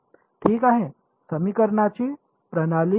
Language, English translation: Marathi, Get a system of equations ok